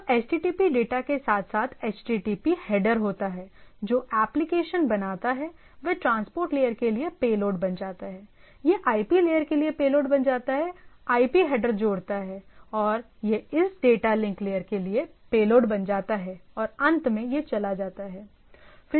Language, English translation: Hindi, So HTTP data along with the HTTP header which creates the application it becomes a payload for the transport layer, it becomes a payload for IP layer, adds the IP header and it becomes a payload for this data link layer and finally, it goes to the physical layer and where the things are being transmitted, right